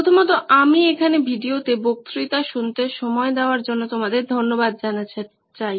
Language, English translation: Bengali, First of all I would like to thank you for spending your time on listening to these lectures